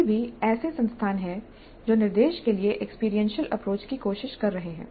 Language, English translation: Hindi, Still there are institutes which are trying the experiential approach to instruction